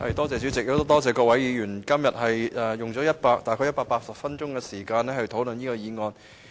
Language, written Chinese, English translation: Cantonese, 主席，多謝各位議員今天用了大約180分鐘時間討論我的議案。, President I thank Members for spending some 180 minutes discussing my motion today